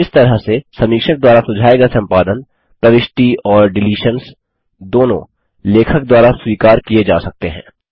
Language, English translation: Hindi, In this way, edits suggested by the reviewer, both insertions and deletions, can be accepted by the author